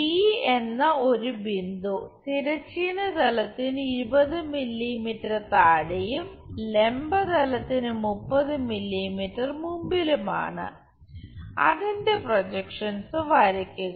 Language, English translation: Malayalam, A point D is 20 mm below horizontal plane and 30 mm in front of vertical plane draw its projections